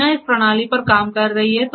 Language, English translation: Hindi, Deena is a working on this system